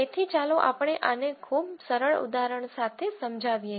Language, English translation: Gujarati, So, let us again illustrate this with a very simple example